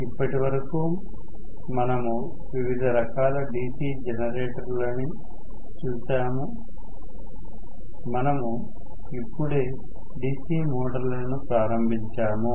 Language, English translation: Telugu, Until now, we had seen the different types of DC generators; we just started on the DC motors in the last class